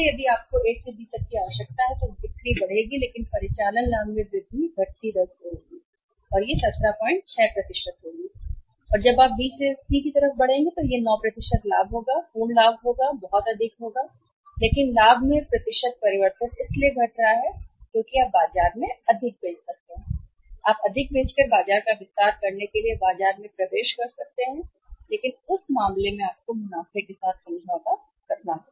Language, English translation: Hindi, 6% and when you move from B to C, it will be 9% profit is going absolute profit will be very high but percentage change in the profit is declining so because you can sell more in the market you can penetrate in the market to expand the market by selling more in the market but in that case you have to compromise with the profits